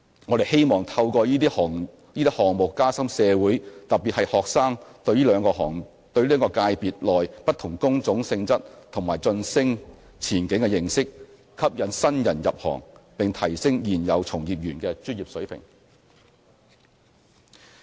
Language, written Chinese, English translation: Cantonese, 我們希望透過這些項目加深社會，特別是學生，對這兩個界別內不同工種性質和晉升前景的認識，吸引新人入行，並提升現有從業員的專業水平。, We hope that the initiatives rolled out under the programme would enable the community particularly students to have a better understanding of the nature and career prospects of different jobs in the two sectors; attract new entrants; and enhance the professionalism of existing practitioners